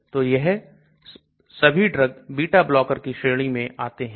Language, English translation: Hindi, So all these drugs come under this category of beta blocker